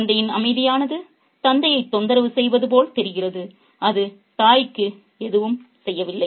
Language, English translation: Tamil, The child's quietitude seems to bother the father, whereas it doesn't seem to do anything for the mother